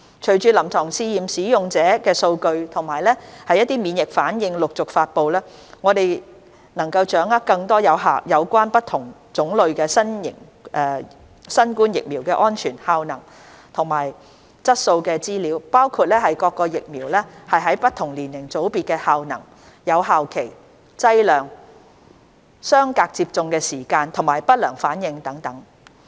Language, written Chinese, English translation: Cantonese, 隨着臨床試驗的使用者數據及免疫反應陸續發布，我們能掌握更多有關不同種類新冠疫苗的安全、效能及質素資料，包括各疫苗在不同年齡組別的效能、有效期、劑量、相隔接種的時間及不良反應等。, With user statistics and immunization responses of participants of the clinical trials gradually becoming available we can obtain more information on the safety efficacy and quality of the various COVID - 19 vaccines including their efficacy across different age groups effective period dosage time between each doses and adverse reactions etc